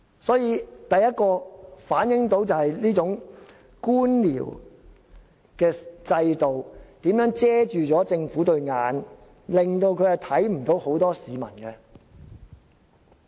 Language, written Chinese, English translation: Cantonese, 所以，第一，反映出這種官僚制度如何蒙蔽政府雙眼，令他們看不見很多市民。, Therefore first this reflects how this bureaucratic system has blindfolded the Government such that it fails to see a lot of people